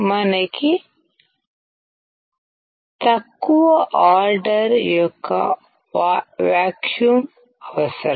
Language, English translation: Telugu, We require a vacuum of a low order